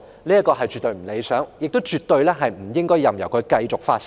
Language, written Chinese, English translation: Cantonese, 這絕不理想，更不應任由它繼續發生。, This is absolutely unsatisfactory . We should not allow it to happen again